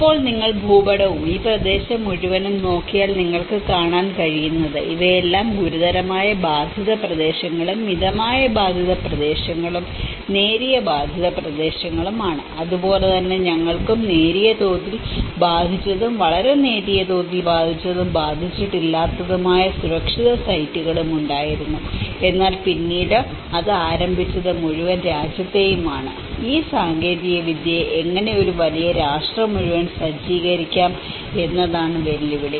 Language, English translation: Malayalam, And now, if you look at the map and this whole region what you can see is, these are all the severely affected areas and the moderately affected areas and the mild affected areas and similarly, we have the mild affected and very mild affected and not affected the safe sites as well but then it started with it is not just the whole country but then the challenge is how to defuse this technology to a larger set up to a larger the whole nation